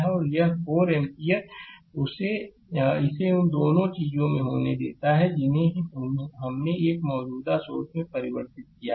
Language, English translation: Hindi, And this 4 ampere let it be at both the things we converted to a current source right